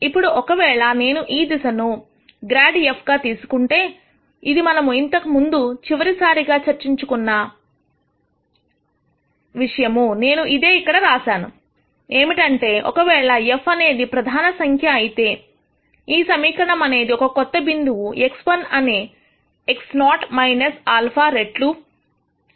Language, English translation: Telugu, Now, if I take this direction as minus grad f which is what we discussed last time which I have written here as f prime then, the equation will be the new point x 1 is x naught minus alpha times f prime x naught